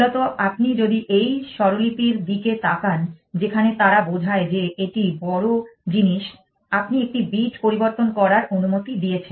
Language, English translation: Bengali, Essentially, if you look at this notation where they convey it is the big thing, you allowed changing one bits